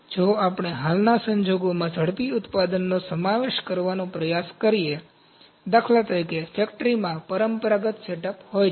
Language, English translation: Gujarati, If we try to inculcate rapid manufacturing in the present scenario, for instance, a factory has traditional setup